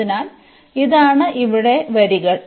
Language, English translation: Malayalam, So, these are the lines here